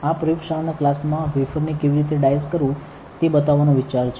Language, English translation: Gujarati, In this lab class, the idea is to show you how to dice the wafer